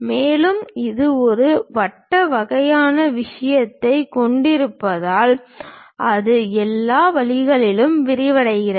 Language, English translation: Tamil, And because it is having a circular kind of thing extending all the way shaft